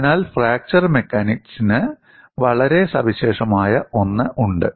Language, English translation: Malayalam, So, there is something very unique to fracture mechanics